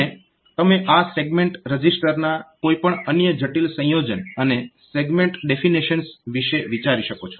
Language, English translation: Gujarati, And you can think about any other complex combination of this segment register, and the segment definitions